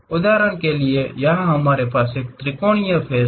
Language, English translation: Hindi, For example, here we have a triangular face